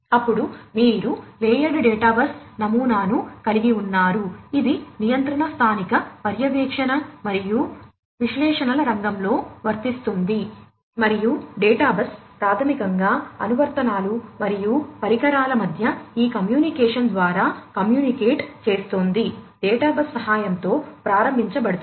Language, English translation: Telugu, Then you have the layered data bus pattern, which is applicable in the field of control local monitoring and analytics, and the database basically communicates between the applications and devices through this communication is enabled with the help of the data bus